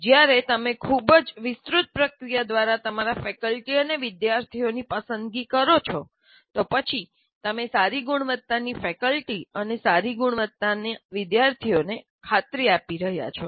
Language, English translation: Gujarati, When you select your faculty and students through very elaborate process, then you are assuring good quality faculty and good quality students